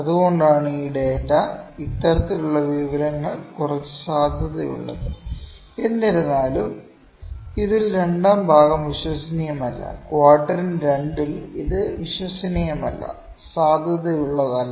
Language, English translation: Malayalam, That why this data is this kind of information is somewhat valid; however, in this it is not reliable in part 2, in quadrant 2 it is not reliable not valid